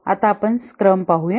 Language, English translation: Marathi, Now let's look at scrum